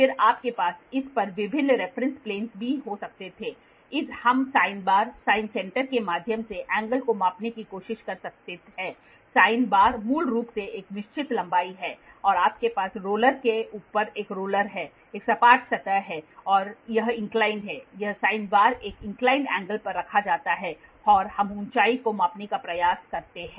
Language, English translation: Hindi, And then you can also have various reference planes on this we can try to measure the angle went through sine bar, sine center, sine bar is basically have a fixed length you have a roller on top of a roller there is a flat surface and this is inclined, this is this sine bar is kept at an inclined angle and we try to measure the height